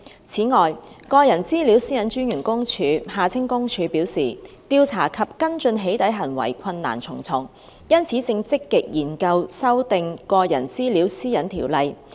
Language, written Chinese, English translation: Cantonese, 此外，個人資料私隱專員公署表示，調查及跟進起底行為困難重重，因此正積極研究修訂《個人資料條例》。, Moreover the Office of the Privacy Commissioner for Personal Data PCPD has indicated that in view of the multiple difficulties encountered in investigating and following up doxxing acts it is actively studying the introduction of amendments to the Personal Data Privacy Ordinance